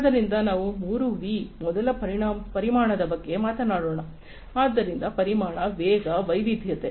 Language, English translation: Kannada, So, let us talk about the 3 V’s first volume, so volume, velocity, variety